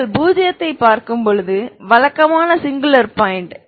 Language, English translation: Tamil, When you have when you look at 0 is singular point regular singular point